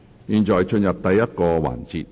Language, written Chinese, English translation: Cantonese, 現在進入第一個環節。, We now proceed to the first session